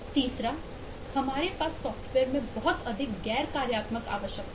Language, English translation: Hindi, the third: we have a lot of nonfunctional requirements in a software